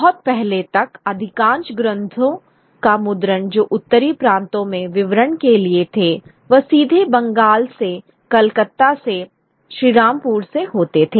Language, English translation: Hindi, It will tell very early on the most of the printing of text which were meant for distribution in the northern provinces were taking place directly from Bengal, from Calcutta, from Sri Rampur